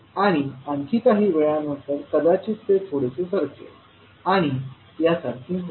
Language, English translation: Marathi, And after some time it may leave and will become like this